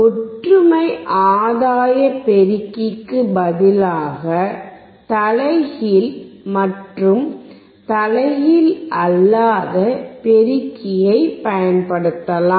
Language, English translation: Tamil, Instead of unity gain amplifier, we can also use inverting and non inverting amplifier